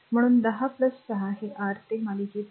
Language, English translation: Marathi, So, 10 and plus 6 these to R in series is